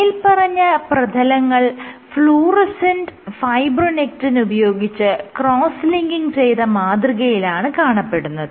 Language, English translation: Malayalam, So, these substrates were cross linked with fluorescent fibronectin